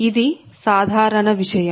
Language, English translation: Telugu, this is directly